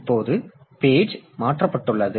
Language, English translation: Tamil, Now, the page has been transferred